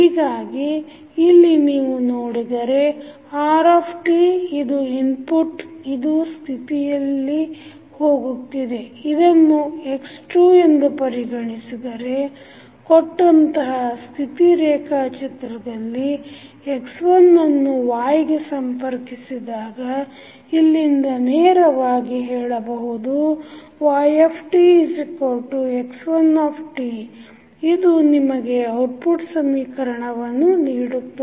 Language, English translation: Kannada, So, if you see here r is the input it is going into the state let say this is the x2 dot given in the state diagram x1 is connected to y, so from here you can straight away say that y is nothing but equal to x1 t, so this will give you the output equation